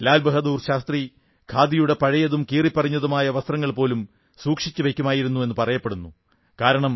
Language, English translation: Malayalam, It is said that LalBahadurShastriji used to preserve old and worn out Khadi clothes because some one's labour could be felt in the making of those clothes